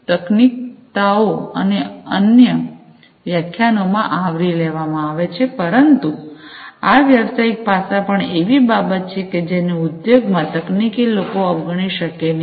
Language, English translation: Gujarati, The technicalities are covered in the other lectures, but these business aspects are also something that cannot be ignored by the technical folks in the industry